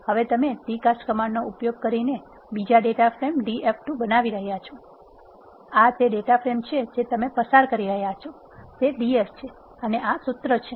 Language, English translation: Gujarati, Now, you are creating another data frame Df2 by using d cast command, this is the data frame which you are passing that is Df and this is the formula